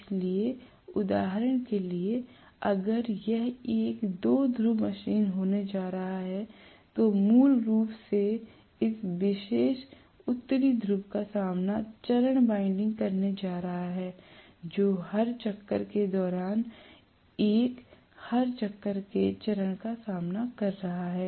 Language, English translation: Hindi, So, for example, if it is going to be a two pole machine, I am going to have basically this particular North Pole facing the phase winding A every revolution, during every revolution